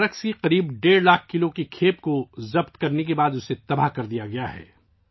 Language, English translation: Urdu, 5 lakh kg consignment of drugs, it has been destroyed